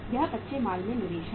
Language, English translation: Hindi, This is the investment in the raw material